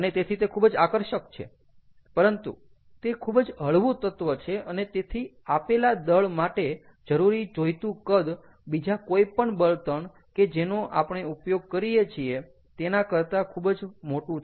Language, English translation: Gujarati, but of course, its a very light element, so the volume required for a given mass is much larger compare to any of the other fuels that we used regularly